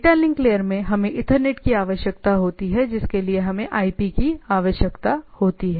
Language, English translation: Hindi, So, at the data link layer we require ethernet at the network layer we require IP